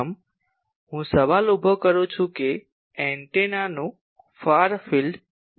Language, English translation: Gujarati, First, I raise the question that, what is far field of an antenna